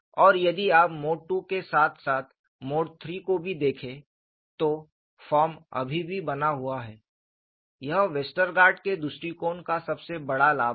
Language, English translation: Hindi, And if you look at, for Mode 2 as well as Mode 3, the form is still maintaining; that is the greatest advantage of Westergaard’s approach